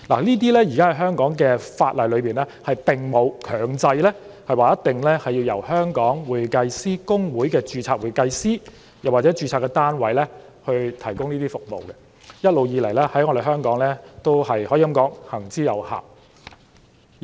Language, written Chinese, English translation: Cantonese, 在現時的香港法例下，並沒有強制規定必須由公會的註冊會計師或註冊單位提供這些服務，而這在香港亦一直行之有效。, Under the current laws of Hong Kong there is no mandatory requirement for these services to be provided by certified public accountants or practice units registered by HKICPA and this approach has all along served Hong Kong well